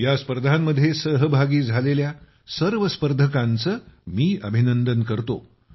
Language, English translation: Marathi, Many many congratulations to all the participants in these competitions from my side